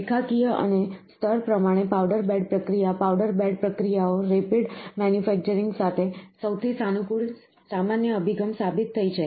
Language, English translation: Gujarati, Line wise and layer wise powder bed process, the powder bed processes have proven to be the most flexible general approach of to rapid manufacturing